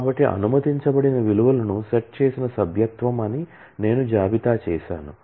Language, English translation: Telugu, So, I have listed the values that are allowed in is a set membership